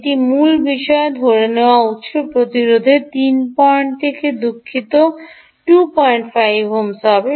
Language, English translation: Bengali, the source resistance assumed will be three point ah to sorry two, five ohms